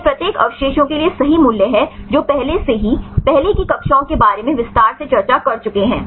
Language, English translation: Hindi, These are the values right for each a residues fine already we discussed in detail in the earlier classes right